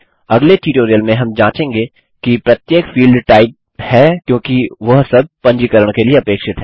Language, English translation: Hindi, In the next tutorial we will check if every single field is typed in as they are all required for registration